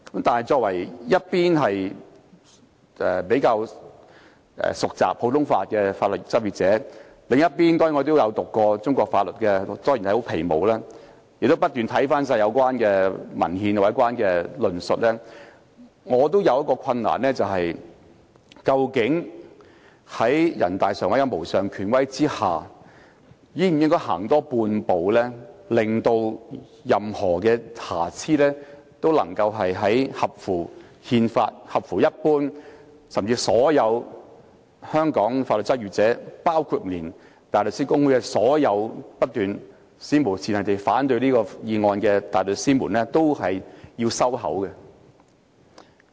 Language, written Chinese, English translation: Cantonese, 我在一方面是較為熟習普通法的法律執業者，另一方面也曾修讀中國法律——雖然只是皮毛——亦曾不斷查看有關文獻和論述，我也遇到一個難題，便是究竟在人大常委會的無上權威下，我們應否多走半步，令到任何瑕疵也能消除，使之符合憲法，甚至令所有香港法律執業者，包括香港大律師公會內所有不斷史無前例地反對這項《條例草案》的大律師，均要閉嘴？, On the one hand I am a practitioner in law who is more versed in common law and on the other I have studied Chinese laws―though not in depth―and have tirelessly reviewed relevant literature and discussions . And I have also encountered a difficult question that is indeed under the supreme authority of NPCSC should we take a little step further to eliminate any defect so as to make the piece of legislation constitutional or even to make all the legal practitioners in Hong Kong including all the barristers of the Hong Kong Bar Association who have kept voicing unprecedented opposition to the Bill shut their mouths?